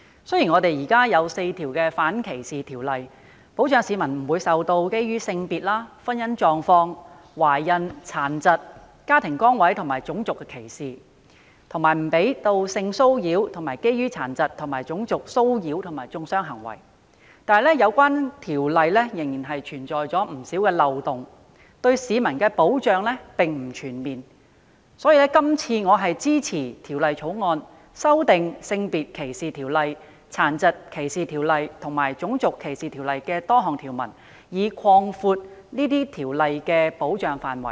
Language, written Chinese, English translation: Cantonese, 雖然現時有4項反歧視條例，保障市民不會受到基於性別、婚姻狀況、懷孕、殘疾、家庭崗位和種族的歧視，以及不讓性騷擾、涉及殘疾及種族騷擾和中傷的行為發生。然而，有關條例仍然存在漏洞，對市民的保障並不全面，所以，我支持《2018年歧視法例條例草案》，修訂《性別歧視條例》、《殘疾歧視條例》及《種族歧視條例》的多項條文，以擴闊這些條例的保障範圍。, Although there are four anti - discrimination ordinances that protect the public from discrimination on grounds of gender marital status pregnancy disability family status and race and disallow sexual harassment and acts of harassment and vilification involving disability and racial discrimination there are still loopholes in the ordinances and protection given to the public is incomprehensive . For this reason I support the Discrimination Legislation Bill 2018 the Bill to amend various provisions of the Sex Discrimination Ordinance SDO the Disability Discrimination Ordinance and the Race Discrimination Ordinance to broaden the scope of coverage of these ordinances